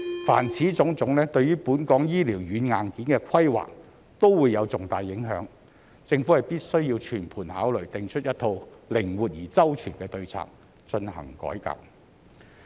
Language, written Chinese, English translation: Cantonese, 凡此種種，對於本港醫療軟硬件的規劃都會有重大影響，政府必須全盤考慮，訂出一套靈活而周全的對策，進行改革。, As all these will have considerable impacts on the planning of healthcare software and hardware in Hong Kong the Government must consider these issues in a holistic manner and formulate a set of flexible and comprehensive strategies for reforms